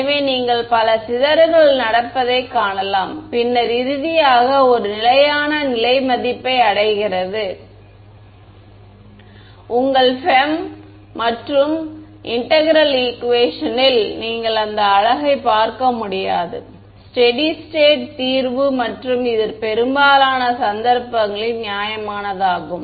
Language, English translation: Tamil, So, you can visualize multiple scatterings is happening and then finally, reaching a steady state value in your FEM and integral equations you do not get to see that beauty you just get final steady state solution and which is reasonable in most cases reasonable ok